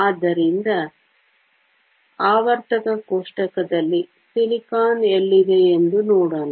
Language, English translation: Kannada, So, let us look at where silicon is in the periodic table